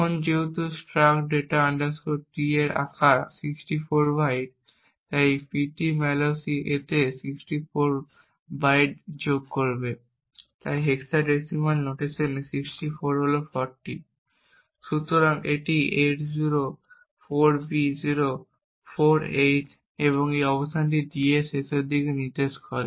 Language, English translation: Bengali, Now since the size of struct data T is 64 bytes, so therefore the Ptmalloc would have added 64 bytes to this, so 64 in hexadecimal notation is 40, so this is 804B048, so this location onwards signifies the end of d